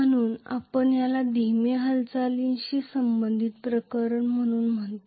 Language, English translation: Marathi, So, we call this as the case corresponding to slow movement